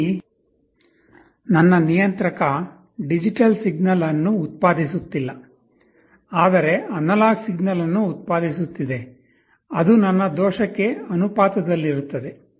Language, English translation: Kannada, Here my controller is not generating a digital signal, but is generating an analog signal is proportional to my error